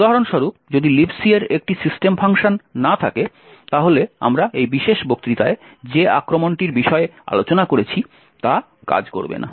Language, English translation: Bengali, For example, if the LibC does not have a system function, then the attack which we have discussed in this particular lecture will not function